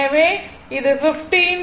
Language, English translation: Tamil, So, it will be 15